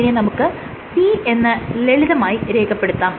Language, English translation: Malayalam, So, this is written as simple P